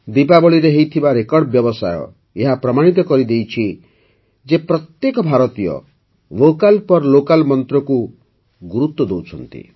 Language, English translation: Odia, The record business on Diwali proved that every Indian is giving importance to the mantra of 'Vocal For Local'